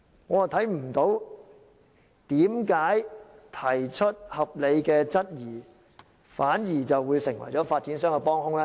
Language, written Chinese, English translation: Cantonese, 我看不到為何提出合理的質疑，反而會成為發展商的幫兇？, I do not see why raising reasonable doubts will make me an accomplice of developers